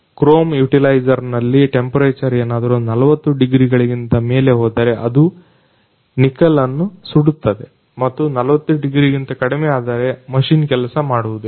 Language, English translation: Kannada, In chrome utilizer, if temperature goes beyond 40 degrees then it burns nickel and below 40 degree machine doesn't work